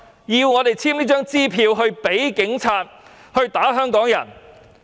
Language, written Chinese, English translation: Cantonese, 要我們簽發這張支票給警察打香港人？, Does the Government want us to give this cheque for the Police to beat Hong Kong people up?